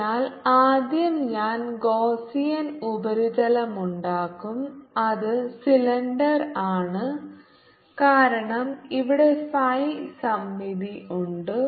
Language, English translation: Malayalam, so first i will make a gaussian surface which is cylindrical because here is the phi symmetry